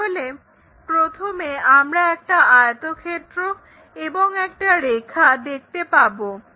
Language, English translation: Bengali, So, the first thing we have already seen, something like a rectangle and a line